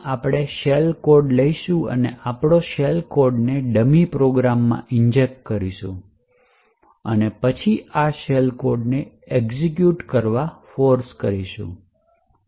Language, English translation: Gujarati, We will take a shell code and we will inject the shell code into a dummy program and then force this shell code to execute